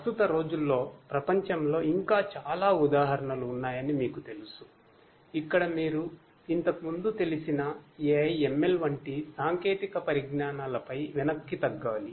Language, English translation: Telugu, You know there are many more examples in the current day world, where you know you have to fall back on your previous you know previously known technologies such as AI, ML and so on